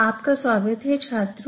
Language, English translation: Hindi, Welcome back students